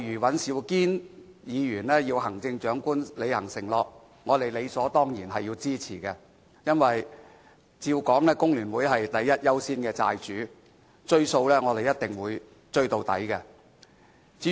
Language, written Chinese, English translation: Cantonese, 尹兆堅議員要求行政長官履行承諾，對此我們理所當然予以支持，因為照理說，工聯會是第一優先的"債主"，"追數"我們一定會追到底。, Mr Andrew WAN urges the Chief Executive to honour his pledge and we will definitely support this . For the Hong Kong Federation of Trade Unions FTU should be the preferential debtor on the top of the list and we are determined to recover the debt by all means